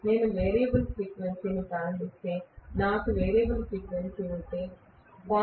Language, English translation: Telugu, So if I do a variable frequency starting, if I have variable frequency starting with 0